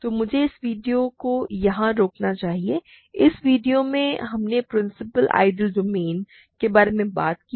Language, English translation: Hindi, So, let me stop this video here; in this video we have talked about principal ideal domains